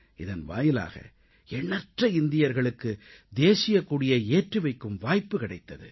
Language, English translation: Tamil, This provided a chance to more and more of our countrymen to unfurl our national flag